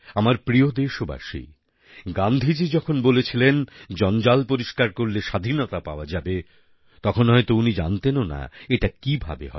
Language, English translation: Bengali, My dear countrymen, when Gandhiji said that by maintaining cleanliness, freedom will be won then he probably was not aware how this would happen